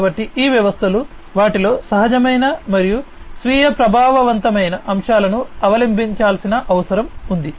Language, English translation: Telugu, So, these systems will require intuitive and self effective elements to be adopted in them